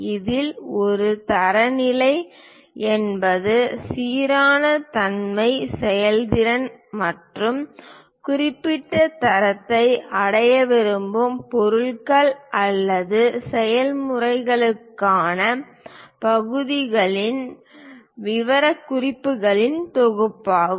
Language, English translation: Tamil, In this a standard is a set of specification of parts for materials or processes intended to achieve uniformity, efficiency and specific quality